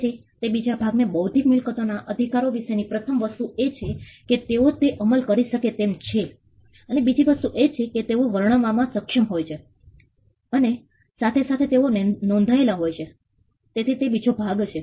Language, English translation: Gujarati, So, that is the second part the first thing about intellectual property rights is that they are enforceable the second thing they are capable of being described and concomitantly being registered so that is the second part